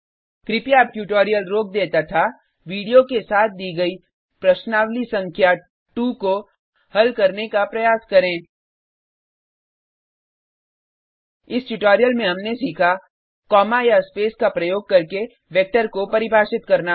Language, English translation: Hindi, Please pause the tutorial now and attempt exercise number two given with the video In this tutorial, we have learnt to Define a vector using spaces or commas